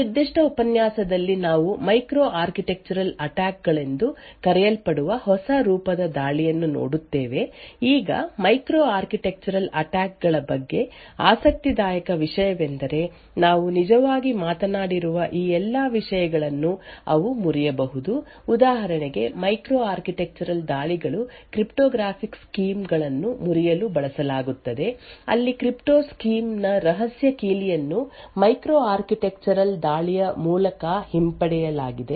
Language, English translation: Kannada, In this particular lecture we will be looking at a new form of attack known as micro architectural attacks now the interesting thing about micro architectural Attacks is that they can break all of these things that we have actually talked about so for example micro architectural attacks have been used to break cryptographic schemes where in the secret key of the crypto scheme has been retrieved by means of a micro architectural attack